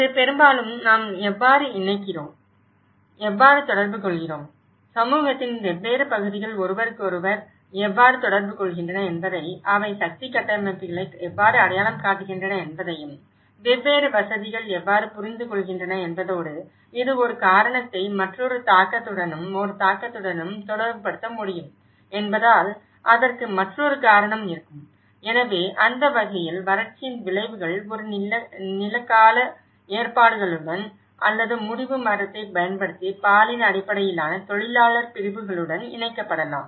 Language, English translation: Tamil, Relational; this is often related to how we link and how we relate, how different facilitators understand that how different parts of the community relate to one another and how they identify the power structures and because it can associate of one cause with another impact and one impact with another reason of it, so in that way, the effects of drought might be linked to a land tenure arrangements or to gender based divisions of labour using the problem tree